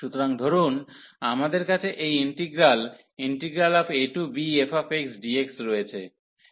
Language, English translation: Bengali, So, suppose we have this integral a to b f x dx